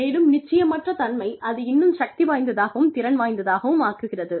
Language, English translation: Tamil, And, the uncertainty makes it, even more powerful and potent